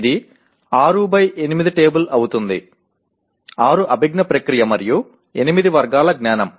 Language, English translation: Telugu, It will be 6 by 8 table; 6 cognitive process and 8 categories of knowledge